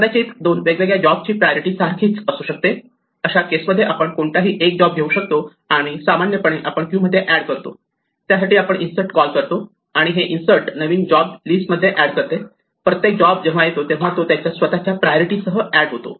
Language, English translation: Marathi, Note of course, that the priorities of two different jobs may be the same in which case we can pick any one and the other operation is which we normally called add to the queue we will call insert and insert just adds a new job to the list and each job when it is added comes with it is own priority